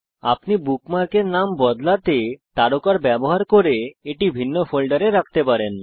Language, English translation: Bengali, You can also use the star to change the name of a bookmark and store it in a different folder